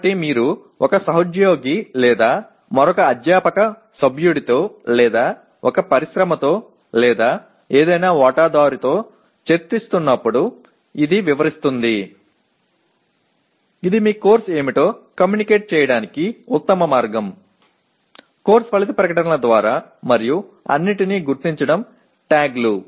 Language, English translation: Telugu, So this describes when you are discussing with a colleague or another faculty member who is, or with an industry or with any stakeholder this is the best way to communicate to what your course is, through course outcome statements and also identifying all the with all the tags